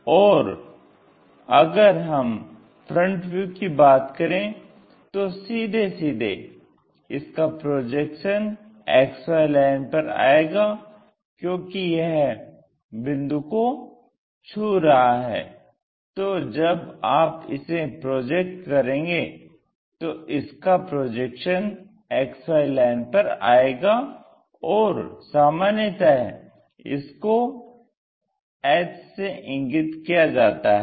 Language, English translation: Hindi, And when it comes to front view, straight away the projection comes to XY line, because it is touching the point; so when you are projecting it, it goes on to that projection of that XY line and that point we usually denote it by h, a small h